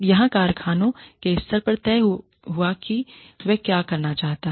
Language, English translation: Hindi, The firm level has decided, what it wants to do